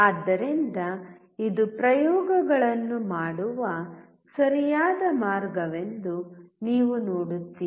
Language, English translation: Kannada, So, you see this is a right way of performing the experiments